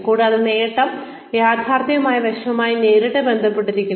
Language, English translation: Malayalam, And, achievability is, directly related to, the realistic aspect